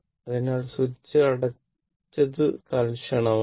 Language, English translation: Malayalam, So, as switch is closed for long time